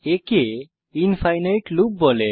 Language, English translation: Bengali, It is known as infinite loop